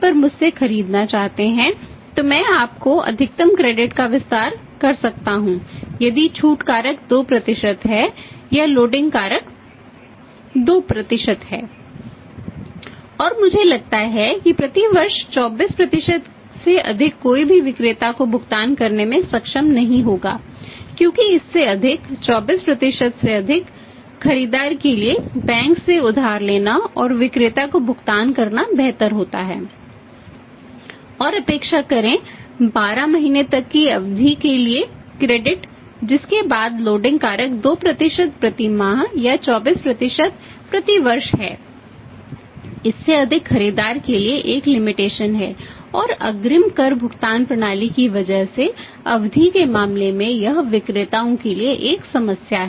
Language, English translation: Hindi, And I think more than 24% per annum nobody will be able to make the payment to the seller because at that more than that more than 24% is better for the buyer to borrow from the bank and to make the payment to the seller and only expect the credit for a period up to the 12 months after which the loading factor is 2% per month or 24% per year more than that is a limitation to the buyer and in case of the period because of the advance tax payment system it is a problem to the sellers